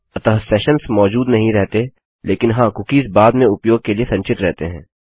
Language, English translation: Hindi, So sessions are killed straight away however cookies are stored for later use